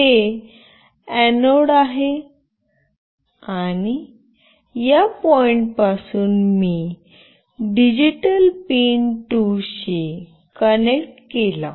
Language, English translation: Marathi, This is the anode and from this point I will connect to digital pin 2